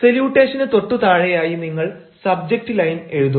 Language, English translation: Malayalam, just below the salutation, you will write the subject line